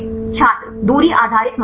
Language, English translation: Hindi, Distance based criteria